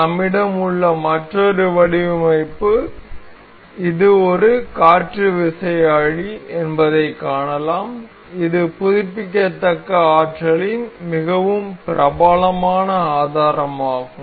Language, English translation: Tamil, Another design we have is we can see it is wind turbine, it is a very popular source of renewable energy